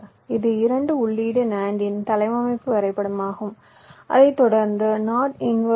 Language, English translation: Tamil, this is the layout diagram of a two input nand followed by a not inverter